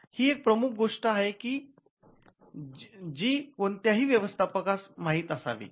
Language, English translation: Marathi, Now, this is a key thing which manager should be acquainted